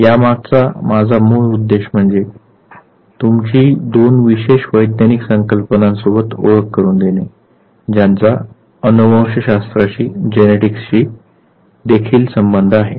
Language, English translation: Marathi, My basic intention is basically to introduce you two certain scientific facts that has to do with genetics